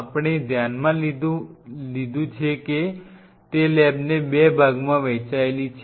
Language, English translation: Gujarati, So, one aspect what we have considered is the lab is divided into 2 parts